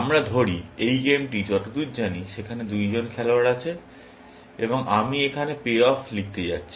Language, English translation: Bengali, Let us say, there are two players as far as this game is concerned, and I am going to write the pay offs here